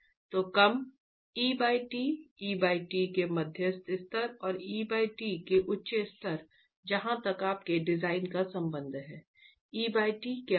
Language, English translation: Hindi, So, low E by T, medium levels of E by T and high levels of E by T and a cap on what E by T is going to be as far as your design is concerned